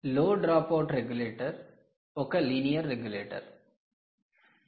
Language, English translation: Telugu, ok, so the low drop out regulator, essentially, low drop out regulator, essentially, is a linear regulator